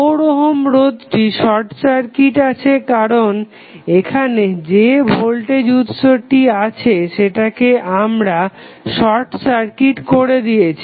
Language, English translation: Bengali, 4 ohm resistance UC is now short circuited because the voltage was which was available here, we short circuited that voltage source